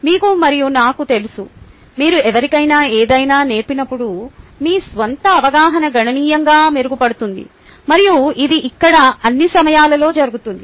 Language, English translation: Telugu, then, when you teach something to somebody, your own understanding improves significantly, and that happens here all the time